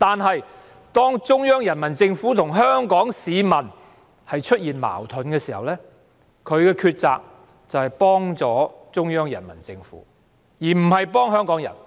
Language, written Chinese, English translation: Cantonese, 不過，當中央人民政府與香港市民出現矛盾時，她卻選擇協助中央人民政府而非香港人。, However when the Central Peoples Government conflicts with the people of Hong Kong she chooses to assist the Central Peoples Government instead of Hong Kong people